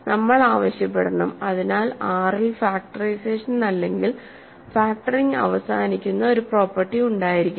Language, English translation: Malayalam, So, we have to ask for so we must have the property that factorization factoring or factorization terminates in R right